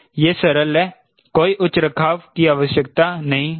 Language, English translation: Hindi, no high maintenance is required now